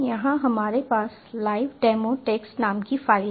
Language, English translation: Hindi, here we have the file named as live demo, dot txt